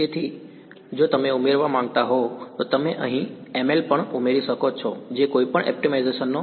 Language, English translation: Gujarati, So, if you want to add you can add ml over here also that is a part of optimization any